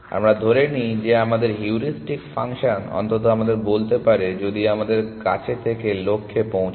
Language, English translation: Bengali, We assume that our heuristic function can at least tell us if we have reached the goal